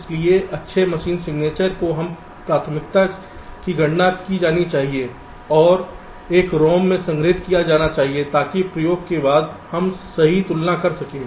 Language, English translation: Hindi, so the good machine signature must be computed a priori and stored in a rom so that after the experiment we can compare right